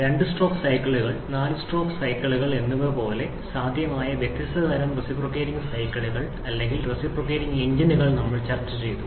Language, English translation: Malayalam, We have discussed about the different types of reciprocating cycles or reciprocating engines that are possible like two stroke cycles and four stroke cycles